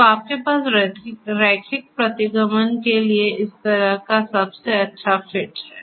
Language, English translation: Hindi, So, you have this kind of best fit kind of thing for linear regression